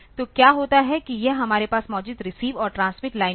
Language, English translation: Hindi, So, what happens is that this receive and transmit lines that we have